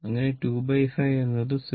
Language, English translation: Malayalam, So, 2 by 5 is 0